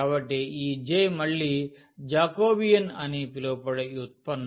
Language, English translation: Telugu, So, the way this J is again kind of derivative which we call Jacobian